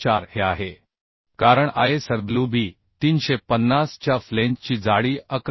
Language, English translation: Marathi, 4 because the thickness of flange of ISWB 350 is 11